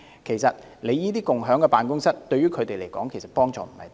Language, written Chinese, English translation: Cantonese, 事實上，共享辦公室對於他們的幫助也不是很大。, As a matter of fact shared office is not very helpful to them either